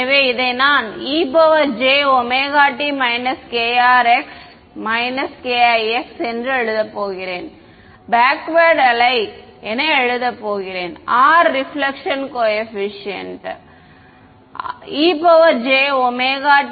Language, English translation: Tamil, So, I am going to write this as e to the j omega t minus k r x minus k i x and what do I write the backward wave as R reflection coefficient e to the j omega t plus k r x plus k i x